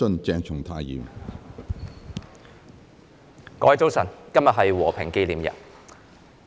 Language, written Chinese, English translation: Cantonese, 各位早晨，今天是和平紀念日。, Good morning everyone . Today is Remembrance Day